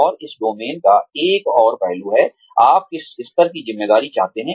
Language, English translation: Hindi, And, another aspect of this domain is, what level of responsibility, do you want